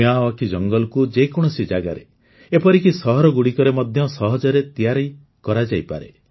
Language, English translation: Odia, Miyawaki forests can be easily grown anywhere, even in cities